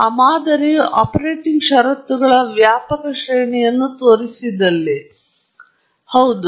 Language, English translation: Kannada, If you have shown the model a wide range of operating conditions, then, yes